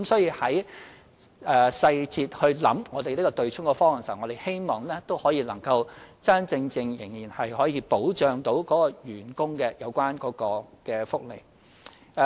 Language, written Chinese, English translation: Cantonese, 因此，從細節考慮"對沖"方案時，我們希望可以真真正正保障員工的有關福利。, Therefore we hope that when the proposal for abolishing the offsetting arrangement is considered having regard to the details these benefits of the employees can be genuinely protected